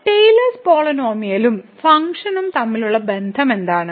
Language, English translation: Malayalam, So, what is the relation of the Taylor’s polynomial and the function